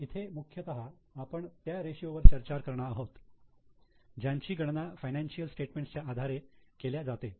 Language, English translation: Marathi, But here we are going to discuss mainly the ratios which are calculated from financial statements